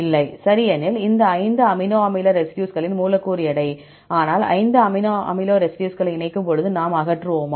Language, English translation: Tamil, No, right because this is the molecular weight of this 5 amino acid residues, but when we combine 5 amino acid residues we will eliminate